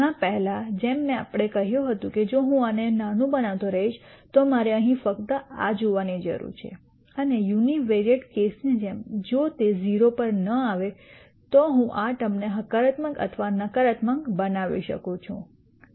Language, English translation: Gujarati, Much like before we said that if I keep making this small I need to only look at this here and much like the univariate case if this does not go to 0, I can make this term either positive or negative